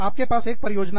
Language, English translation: Hindi, You have a project